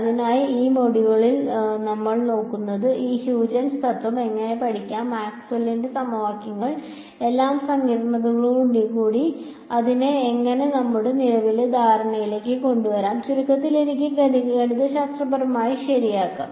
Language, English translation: Malayalam, So, what we will look at in this module is how can we study this Huygens principle, how can we bring it into our current understanding with all the sophistication of Maxwell’s equations and in short can I study it mathematically ok